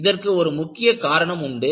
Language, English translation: Tamil, There is a reason for it